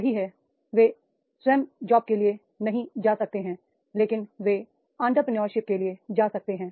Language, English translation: Hindi, That is the they may not go for the self job but they can go for the entrepreneurship